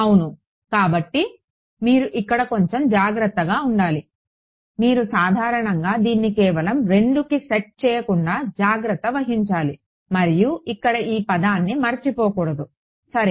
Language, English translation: Telugu, Yeah so, you have to be a little bit careful over here you should be careful to make sure that you do not by default set this just 2 and forget this term over here it matters ok